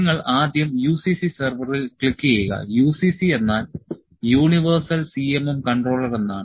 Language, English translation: Malayalam, You first click on the UCC server UCC as I said UCC is Universal CMM Controller